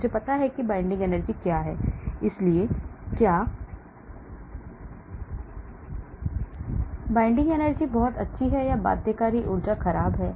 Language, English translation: Hindi, I find out what is the binding energy, so whether the binding energy is very good or the binding energy is poor